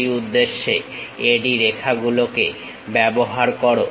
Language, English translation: Bengali, For that purpose use AD lines